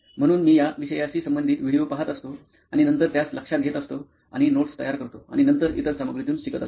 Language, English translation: Marathi, So I would be watching relevant videos to the subject and then noting it down and preparing notes and then learning the material